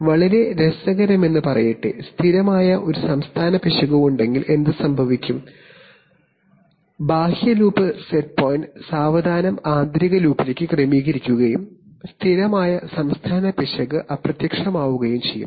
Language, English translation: Malayalam, So interestingly the, if there is a steady state error then what will happen is that the outer loop will slowly adjust the set point to the inner loop and the steady state error will vanish